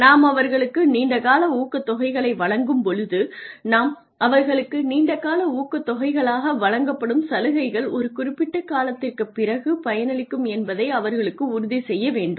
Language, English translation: Tamil, So, when we give them long term incentives we ensure that you know we tell them long term incentives refer to incentives that are given to them for that come to fruition after a period of time